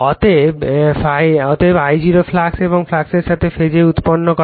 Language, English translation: Bengali, Therefore, I0 produces the flux and in the phase with the flux